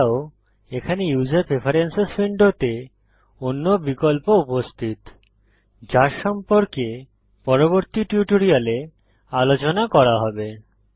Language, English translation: Bengali, Apart from these there are other options present in user preferences window which will be discussed in the later tutorials